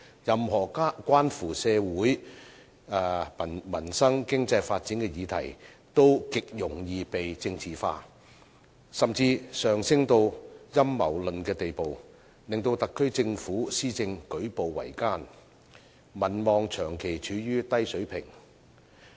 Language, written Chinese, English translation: Cantonese, 任何關乎社會民生、經濟發展的議題，都極容易被政治化，甚至上升至陰謀論的地步，令特區政府施政舉步維艱，民望長期處於低水平。, Any issues relating to peoples livelihood and economic development can be very easily politicized or even escalated to the level of conspiracy theories . As a result the SAR Government faces many difficulties in its every step of policy implementation and its popularity remains at a persistently low level